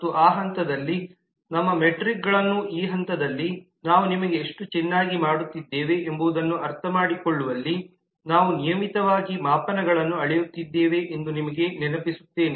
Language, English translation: Kannada, and at the end of that process our metrics at this stage just to remind you that we are regularly measuring the metrics in understanding how well we are doing